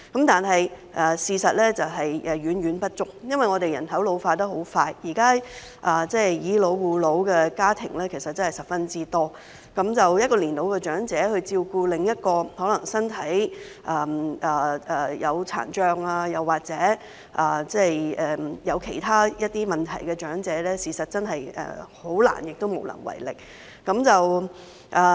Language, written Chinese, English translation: Cantonese, 但是，事實是遠遠不足的，因為我們的人口老化得很快，現時"以老護老"的家庭十分多，一個年老長者照顧另一個可能身體有殘障或其他問題的長者，事實真的很難亦無能為力。, However the services are actually far from adequate owing to the rapid population ageing in Hong Kong . Nowadays there are many families where seniors caring for seniors . In fact it is really difficult and impossible for an elderly person to take care of another senior with physical impairment or other problems